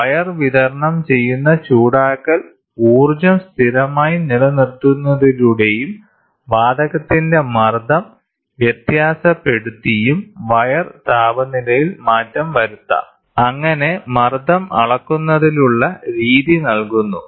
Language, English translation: Malayalam, The temperature of the wire can be altered by keeping the heating energy supplied to the wire constant, and varying the pressure of the gas; thus providing the method of pressure measurement